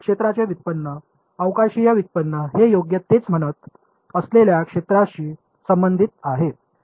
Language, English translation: Marathi, Derivative spatial derivative of the field is proportional to the field that is what it is saying right